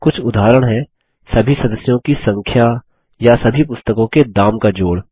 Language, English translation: Hindi, Some examples are count of all the members, or sum of the prices of all the books